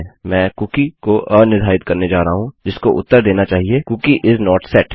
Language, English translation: Hindi, Im going to unset the cookie which should get the result Cookie is not set